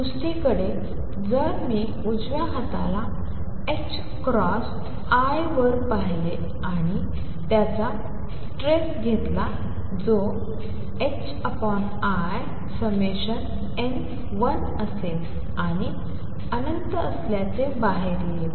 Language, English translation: Marathi, On the other hand, if I look at the right hand side h cross over i and take it trace which will be h cross over i summation n 1 will come out to be infinity